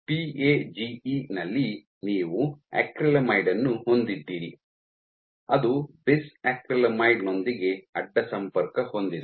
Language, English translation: Kannada, So, in PAGE you have acrylamide which is cross linked with bis acrylamide